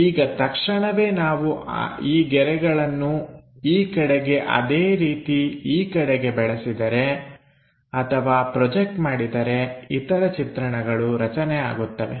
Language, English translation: Kannada, Now, immediately if we are projecting these lines, in this direction similarly in this direction if we are projecting the other views will can be constructed